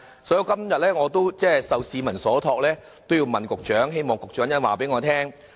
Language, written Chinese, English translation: Cantonese, "所以我今天受市民所託，要問局長此事，希望局長稍後告訴我。, I would like to relay this question to the Secretary and I hope the Secretary can give us a reply later on